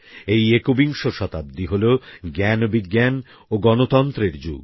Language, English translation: Bengali, We live in the 21st century, that is the era of knowledge, science and democracy